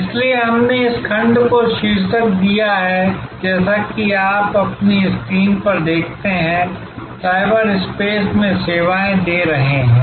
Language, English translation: Hindi, So, we would have titled therefore this section as you see on your screen, delivering services in cyberspace